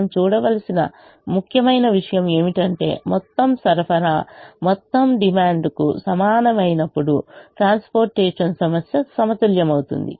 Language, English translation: Telugu, now the important, the important thing that we need to look at is: the transportation problem is balanced when total supply equals total demand